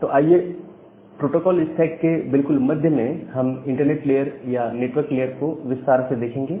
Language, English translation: Hindi, So, we’ll now at the middle of the protocol stack and we will look into the details of this network layer and the internet layer